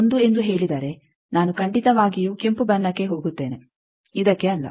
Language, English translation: Kannada, 1 then I will definitely go for red one not this one